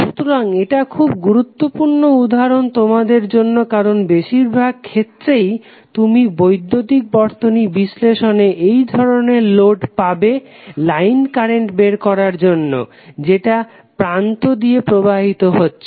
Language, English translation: Bengali, So, these would be very important example for you because most of the time you will see in the electrical circuit analysis you would be given these kind of load to identify the line currents which are flowing across the line terminals